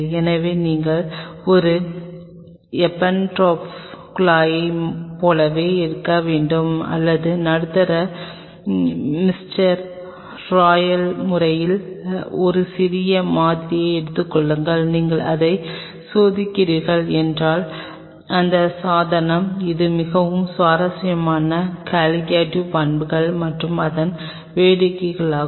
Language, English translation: Tamil, So, you have to just take like in an Eppendorf tube or you take a small sample of the medium mister royal manner and you test it I mean this device it is a very interesting colligative property and its fun